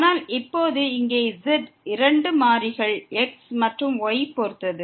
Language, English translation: Tamil, But now here the z depends on two variables x and y